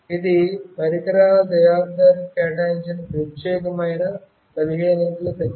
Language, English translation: Telugu, This is a unique 15 digit number assigned by the equipment manufacturer